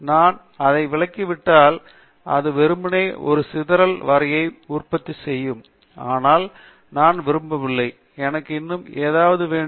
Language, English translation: Tamil, If I omit those, then it will just simply produce a scatter plot, but I donÕt, I want something more